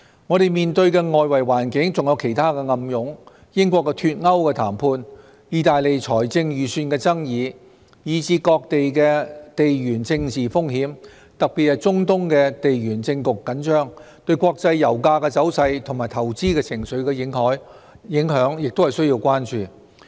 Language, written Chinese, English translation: Cantonese, 我們面對的外圍環境還有其他暗湧——英國"脫歐"談判、意大利財政預算的爭議，以至各地的地緣政治風險，特別是中東地緣政局緊張，對國際油價走勢和投資情緒的影響，也須關注。, There are other underlying threats in the external environment faced by us ranging from the Brexit negotiations controversy over the budget proposal of Italy to geopolitical risks in places around the world particularly the tense geopolitical situation in the Middle East . The impacts on international oil price movements and investment sentiments must also be given due attention